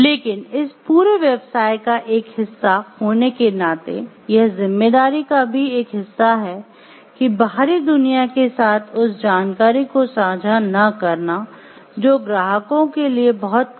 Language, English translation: Hindi, But being a part of this whole business, it is a part of the responsibility also not to share those information with outside world which may have competitors for the clients also in the environment